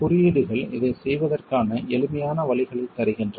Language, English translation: Tamil, Codes give us simplified ways of doing this